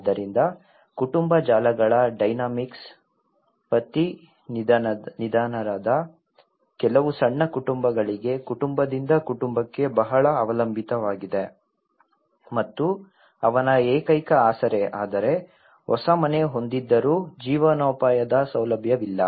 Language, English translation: Kannada, So, the dynamics of the family networks have very dependent on family to family for some small families of where husband died and he is the only support but despite of having a new house but there is no livelihood facility